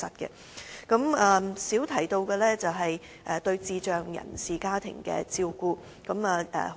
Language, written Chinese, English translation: Cantonese, 我們較少談及的是對智障人士家庭的照顧。, We have had little discussion on the support for families of persons with intellectual disabilities